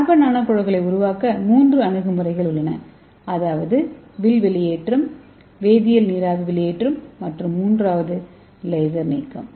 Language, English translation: Tamil, So these are 3 approaches available to make the carbon nano tubes that is arc discharge, chemical vapour disposition and third one is laser ablation